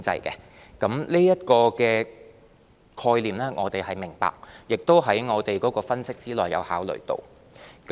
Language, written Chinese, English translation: Cantonese, 對於這個概念，我們是明白的，而且亦在我們分析和考慮之列。, We understand this concept and have already included it in our analysis and consideration